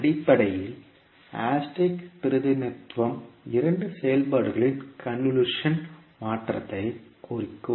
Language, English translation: Tamil, Basically the asterisk will represent the convolution of two functions